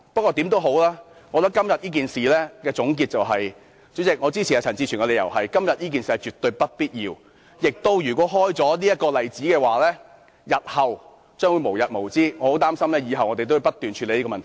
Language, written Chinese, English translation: Cantonese, 無論如何，今天這件事情的總結，主席，我支持陳志全議員的理由，就是今天這件事情絕對不必要，而且如果開了先例，日後亦將會無日無之，我很擔心我們以後也需要不斷處理這種問題。, In any case to summarize this matter today President I support Mr CHAN Chi - chuen as todays matter is absolutely unnecessary and if a precedent is set things will see no end in the future . I am worried that we will have to deal with this problem continuously in future